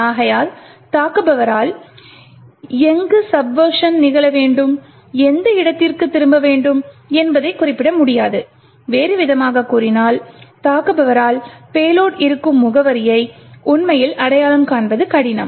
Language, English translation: Tamil, Therefore, the attacker would not be able to specify where the subversion should occur and to which location should the return be present, on other words the attacker will find it difficult to actually identify the address at which the payload would be present